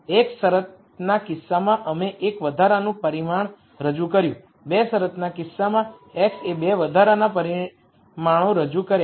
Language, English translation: Gujarati, In the one constraint case we introduced one extra parameter, in the 2 constraints case the x introduced 2 extra parameters